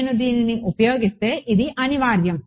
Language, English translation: Telugu, This is inevitable if I use this